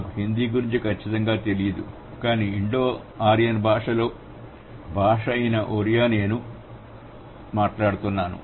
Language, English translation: Telugu, I am not sure about Hindi but at least in my language I has, I speak Odea which is an, which is an Indo ryan language